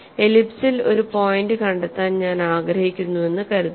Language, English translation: Malayalam, Suppose I want to locate a point on the ellipse